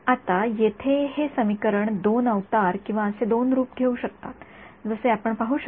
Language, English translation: Marathi, Now, this equation over here has can take two avatars or two forms as you can see